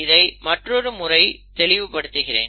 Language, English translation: Tamil, Let me make this clear again